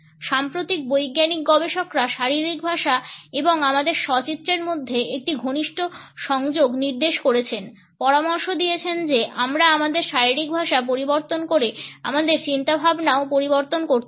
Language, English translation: Bengali, Latest scientific researchers have pointed out a close connection between the body language and our self image, suggesting that by changing our body language we can also change our thinking